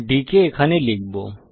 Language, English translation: Bengali, Put d here